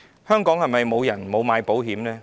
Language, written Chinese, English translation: Cantonese, 香港是否沒有人購買保險呢？, Is it true that no one in Hong Kong purchases any policy?